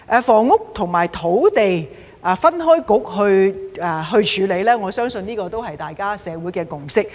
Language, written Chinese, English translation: Cantonese, 房屋與運輸分開由不同政策局來處理，我相信這是社會的共識。, I believe it is the consensus of the community that housing and transport should be dealt with separately by different Policy Bureaux